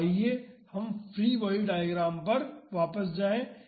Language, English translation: Hindi, So, let us go back to the free body diagram